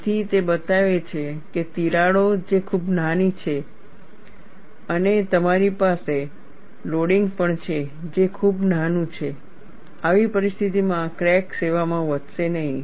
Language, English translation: Gujarati, So, that shows that cracks which are very smaller and also you have loading, which is quite small, under such conditions crack may not grow in service